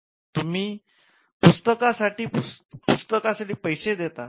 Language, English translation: Marathi, So, you pay money for the book